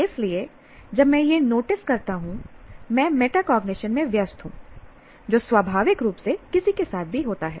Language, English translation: Hindi, So when I notice that I am engaging in metacognition, which naturally happens to any one